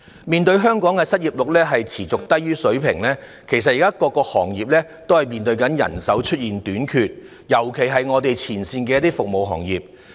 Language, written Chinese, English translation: Cantonese, 面對香港的失業率持續處於低水平，各行各業均面對人手短缺的問題，尤其是前線服務業。, Given the consistently low unemployment rate in Hong Kong various trades and industries especially frontline services are now facing a shortage of manpower